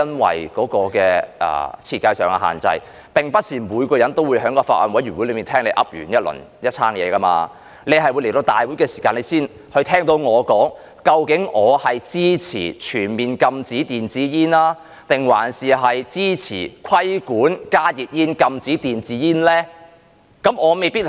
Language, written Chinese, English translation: Cantonese, 此外，基於設計上的限制，並不是每個人都能在法案委員會聽到我發表的意見，你可能在立法會會議上才聽到我說，例如究竟我支持全面禁止電子煙，還是支持規管加熱煙、禁止電子煙呢？, Besides due to the restrictions in the design not everyone could listen to my views expressed in the bills committee concerned and you could listen to my views only during the Council meeting . For instance do I support a total ban on electronic cigarettes or do I support the regulation on heated tobacco products but a ban on electronic cigarettes?